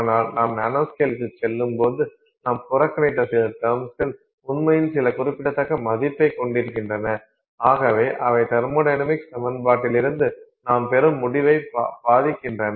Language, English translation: Tamil, But when you go to the nano scale the same, those that some of the terms that you ignored actually start having some significant value and therefore they affect the result that you get from the thermodynamic equation